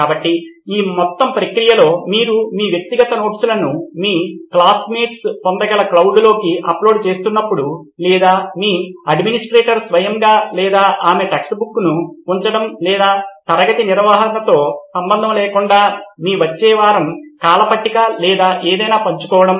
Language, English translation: Telugu, So in this entire process while you uploading your personal notes into the cloud where your classmates can access it or your administrator himself or herself putting in the text book or sharing your next week’s timetable or anything irrespective of class management